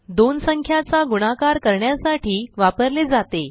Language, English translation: Marathi, * is used for multiplication of two numbers